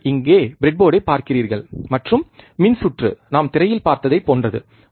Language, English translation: Tamil, you see the breadboard here, and the circuit is similar to what we have seen in the screen